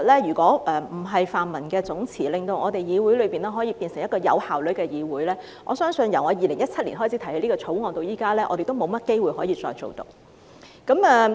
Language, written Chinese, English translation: Cantonese, 如果不是泛民總辭，令議會可以變成一個有效率的議會，我相信由我2017年開始提出這項條例草案至今，我們也沒有甚麼機會可以處理得到。, If it was not for the collective resignation of the pan - democrats so that the legislature could become an efficient one I believe that since I proposed this bill in 2017 we would not have had much chance to deal with it